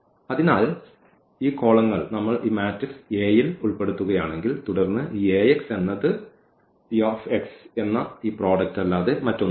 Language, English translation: Malayalam, So, these columns if we put into this matrix A then this Ax will be nothing but exactly this product which is the T x